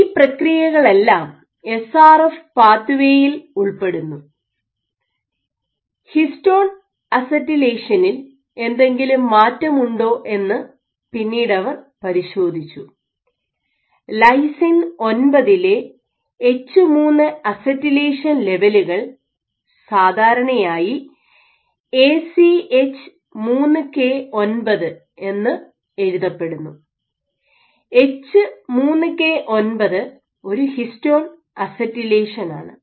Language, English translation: Malayalam, So, SRF pathway is involved in all of these processes, what they then checked was whether there was any alteration in histone acetylation, H3 acetylation levels at lysine 9 this is typically written as ACH3K9, H3K9 is a histone acetylation